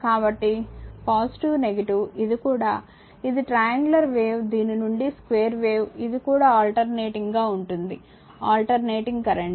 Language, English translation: Telugu, So, plus minus, this is also, this is triangular wave from this is square wave from this is also alternating, alternating current right